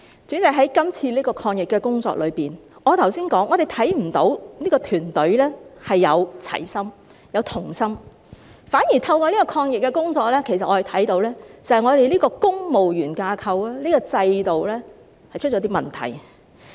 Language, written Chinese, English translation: Cantonese, 主席，在今次的抗疫工作中，我剛才已提到，我們看不到這個團隊展示齊心或同心，反而透過抗疫工作，我們其實看到這個公務員架構和制度出了一些問題。, President in this fight against the epidemic as I just mentioned we fail to see any concerted efforts from a united ruling team . On the contrary through the anti - epidemic work we have actually found some problems with this civil service structure and system